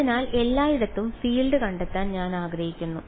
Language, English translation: Malayalam, So, I want to find the field everywhere